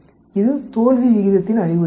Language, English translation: Tamil, It is also an indication of the failure rate